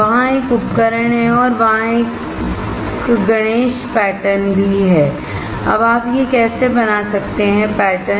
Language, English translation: Hindi, There is an instrument right here and there is a Ganesha pattern also; Now how can you make this patterns